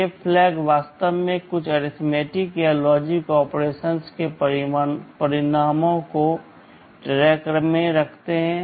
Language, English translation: Hindi, These flags actually keep track of the results of some arithmetic or logic operation